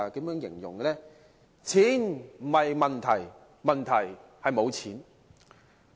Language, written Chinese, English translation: Cantonese, 便是"錢不是問題，問題是沒有錢"。, The saying is money is not an issue but the lack of it is